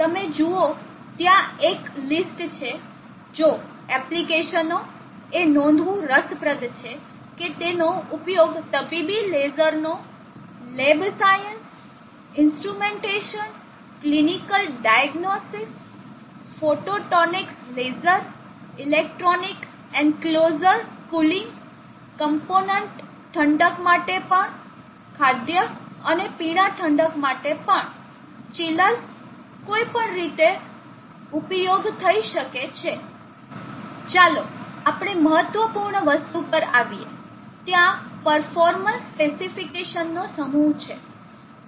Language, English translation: Gujarati, You see there is a lit if application interesting to note that can be used for medical lasers lab science instrumentation clinical diagnostics photonics laser electronic enclosure cool cooling even component cooling food and beverage cooling chillers any way